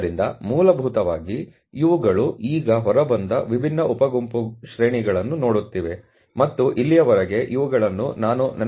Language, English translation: Kannada, So, essentially this crosses, now are looking at the different sub group ranges which have come out, and if I may recall that these were the ranges which were plotted here as 0